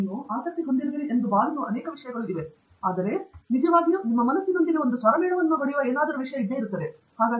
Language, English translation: Kannada, There many things that you might feel that you are interested in, but there is something that really strikes a chord with you, so then that is something that you pickup